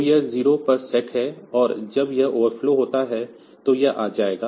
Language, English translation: Hindi, So, that is set to 0, and when this overflow occurs then it will be coming